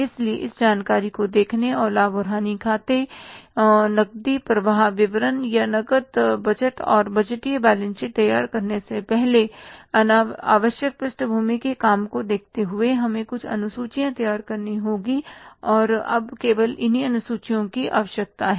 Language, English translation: Hindi, So, looking at this information and looking at the background work required to be done before preparing the profit and loss account cash flow statement or the cash budget and the budgeted balance sheet we had to prepare some of the schedules and now these are the only schedules required